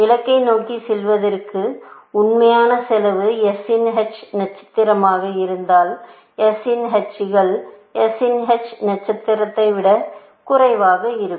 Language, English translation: Tamil, If the actual cost of going to the goal is h star of s, h of s is less than h star of s